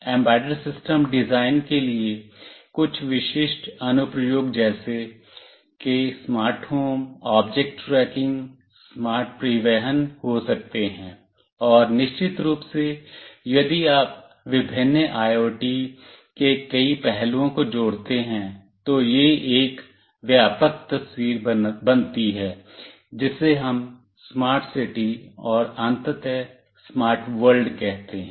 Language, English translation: Hindi, Some typical applications leading to embedded system design could be smart home, object tracking, smart transportation, and of course if you combine many of the aspects of various IoTs, then it leads to a broader picture we call it smart city, and ultimately to smart world